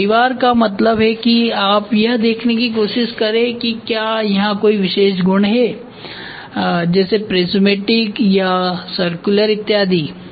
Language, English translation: Hindi, So, family means you try to see whether it is the family can be whether it is prismatic or it is circular or you can have some other family